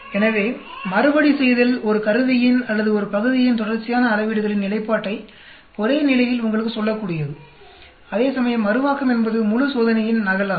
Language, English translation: Tamil, So, the Repeatability tells you the consistent of the repeated measurements of an instrument or a part at same condition, whereas Reproducibility is the entire experiment is duplicated